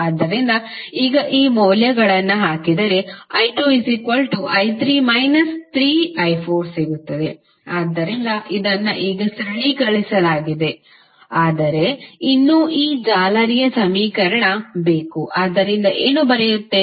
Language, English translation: Kannada, So, now if you put these value here you will get i 2 is nothing but i 3 minus 3i 4, so it is simplified now but still we need the equation for this mesh, so what we will write